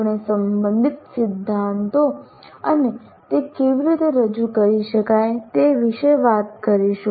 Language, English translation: Gujarati, We'll talk about the related theory and how it can be presented